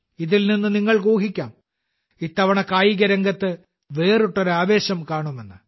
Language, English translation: Malayalam, From this, you can make out that this time we will see a different level of excitement in sports